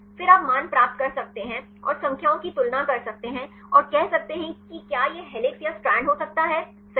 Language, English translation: Hindi, Then you can get the values and compare the numbers and say whether this can be a helix or the strand right